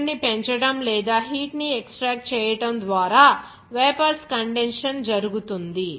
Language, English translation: Telugu, The vapors condensed by increasing pressure or extracting heat